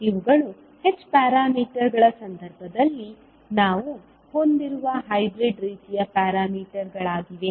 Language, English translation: Kannada, These are the hybrid kind of parameters which we have in case of h parameters